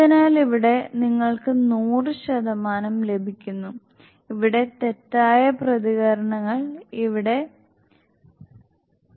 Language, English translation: Malayalam, So here you gets 100 percent it means, here false reactions here it is 0